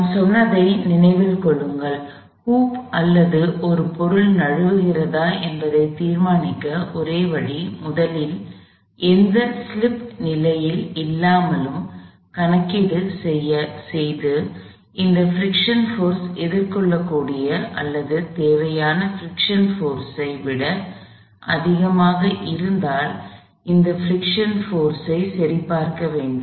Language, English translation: Tamil, Remember we said – the only way to determine whether a hoop or an object slips is to first do the calculations under no slip condition and then check if that friction force is – if the maximum section force is greater than the admissible or required friction force